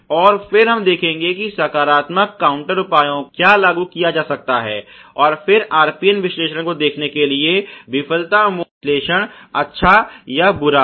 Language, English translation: Hindi, And then we will see what positive counter measures can be implemented, and then again do the RPN analyses to see is the failure mode effect analysis good or bad ok